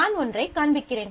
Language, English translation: Tamil, So, I will just show you one